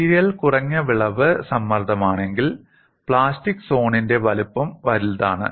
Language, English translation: Malayalam, If the material is of low yield stress, the size of the plastic zone is large